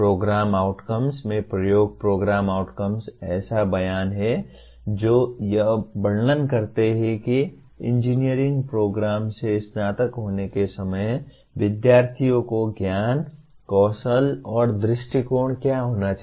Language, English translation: Hindi, Coming to Program Outcomes, program outcomes are statements that describe what the knowledge, skills and attitudes students should have at the time of graduation from an engineering program